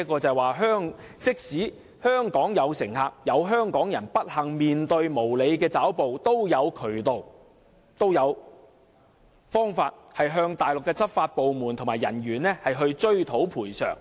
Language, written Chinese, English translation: Cantonese, "這即是說，即使有香港人不幸面對無理抓捕，也有渠道向內地執法部門和人員追討賠償。, That means in the event that Hong Kong people unfortunately encounter groundless capture there are still channels to seek compensation from Mainland law enforcement agencies and officers